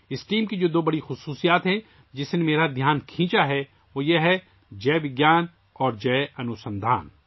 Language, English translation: Urdu, The two great features of this team, which attracted my attention, are these Jai Vigyan and Jai Anusandhan